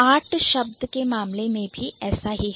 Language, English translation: Hindi, Similar is the case with art